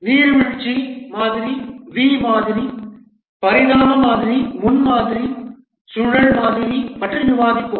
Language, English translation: Tamil, We'll discuss about the waterfall, V model, evolutionary prototyping spiral model